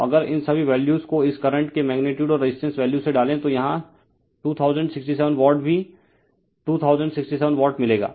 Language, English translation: Hindi, So, if you just put all these values from the magnitude of this current and the resistive value you will get 2067 Watt here also 2067 watt